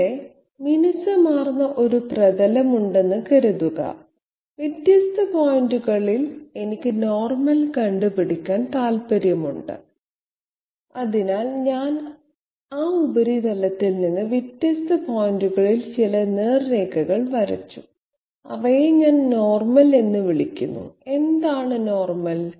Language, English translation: Malayalam, Suppose there is a smooth surface here and at different points I am interested to find out the normal, so I have drawn some you know some straight lines emanating from that surface at different points and I am calling them the normal, what is the normal